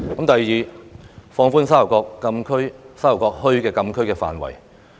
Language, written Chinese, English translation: Cantonese, 第二，放寬沙頭角墟禁區範圍。, Second the frontier closed area restriction for Sha Tau Kok town should be relaxed